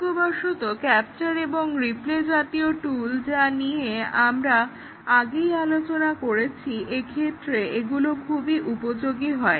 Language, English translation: Bengali, Fortunately, the capture and replay type of tools that we had discussed, appear to be a perfect fit here